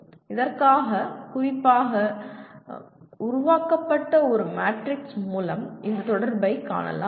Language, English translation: Tamil, We will presently see this correlation can be seen through a matrix specifically created for this